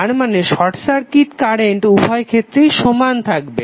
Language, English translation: Bengali, That means that short circuit current should be same in both of the cases